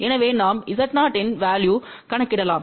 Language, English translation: Tamil, So, we can calculate the value of Z 0